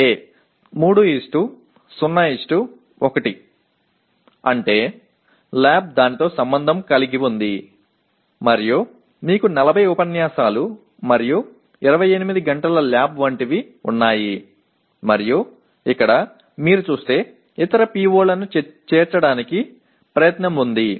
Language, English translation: Telugu, A 3:0:1 that means lab is associated with that and you have something like 40 lectures and 28 hours of lab and here if you look at there is an attempt to include other POs